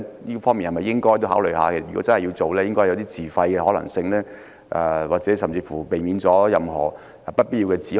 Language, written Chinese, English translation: Cantonese, 如果真的要推行，便應該考慮自費的可行性，甚至可避免任何不必要的指控。, Should the Government insist on implementing TSA it should consider the feasibility of implementing it on a self - financing basis which can even avoid any unwarranted accusations